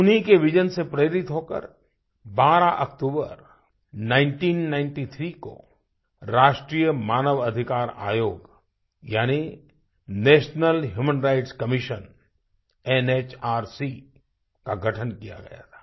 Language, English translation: Hindi, Inspired by his vision, the 'National Human Rights Commission' NHRC was formed on 12th October 1993